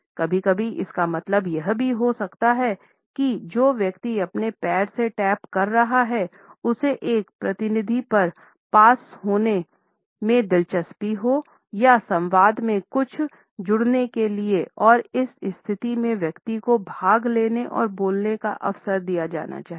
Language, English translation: Hindi, Sometimes, it may also mean that the person who is tapping with his or her foot is interested in passing on a repartee or to add something to the dialogue and in this situation the person has to be given an opportunity to participate and speak